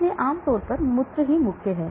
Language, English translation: Hindi, So generally urine is the main